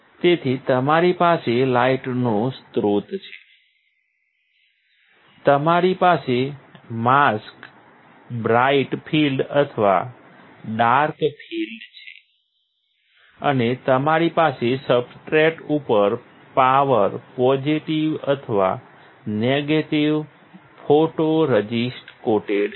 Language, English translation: Gujarati, So, light source; you have light source, you have mask, bright field or dark field, and you have power positive or negative photoresist coated on the substrate